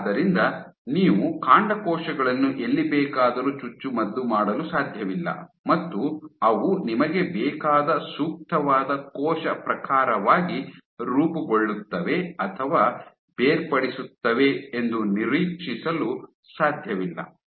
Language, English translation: Kannada, So, you cannot just inject stem cells anywhere and you expect them to form or differentiate into the appropriate cell type that you want